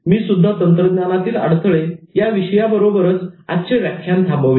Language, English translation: Marathi, I also concluded the lecture with technological barrier